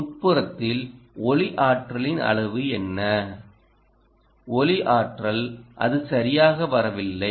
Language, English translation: Tamil, what is the amount of light energy, light energy, ah, is it not coming